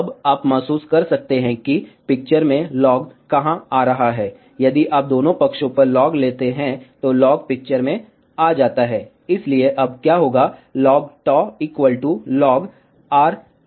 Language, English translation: Hindi, Now, you might feel, where is log coming into picture, log comes into picture if you take log on both the sides, so what will happen now, log of tau is equal to log of R n plus 1 minus log of R n